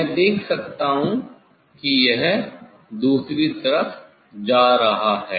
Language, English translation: Hindi, I can see it is moving in other side